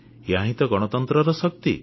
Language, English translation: Odia, This is the real power of democracy